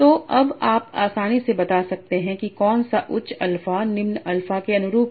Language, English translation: Hindi, So now you can easily tell which one is corresponding to higher alpha or lower alpha